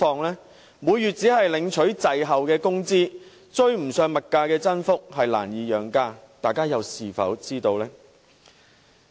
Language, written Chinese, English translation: Cantonese, 他們每月只領取滯後的工資，追不上物價增幅，難似養家，大家又是否知道呢？, Obtaining only meagre wages which lag behind the increase in consumer prices every month they can hardly feed their families . Are we aware of that?